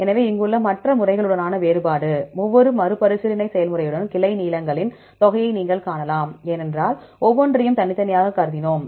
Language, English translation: Tamil, So, the difference with the other methods here you can see the sum of the branch lengths with each reiteration process, because we considered each one separately